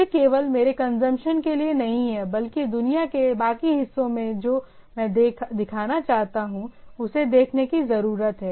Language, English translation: Hindi, It is not for only for my consumption, but the rest of the world what I want to show need to see it